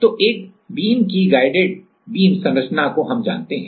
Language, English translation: Hindi, So, guided beam structure for a single beam we know